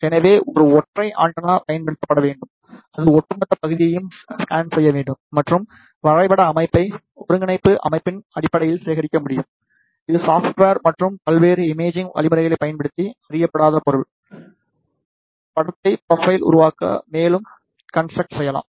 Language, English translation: Tamil, So, therefore, a single antenna should be used and it should scan the overall area and the mapped data can be collected in terms of coordinate system, which can be further post processed using the software and the various imaging algorithms to construct the unknown object image profile